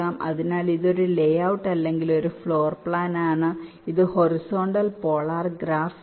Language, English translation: Malayalam, this is the horizontal polar graph in the horizontal direction